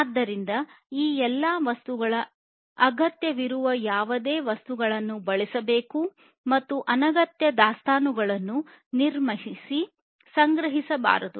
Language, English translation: Kannada, So, all of these things whatever inventory would be required should be used, and not unnecessary inventories should be used built up and procured